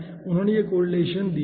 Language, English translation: Hindi, he has given this correlation here also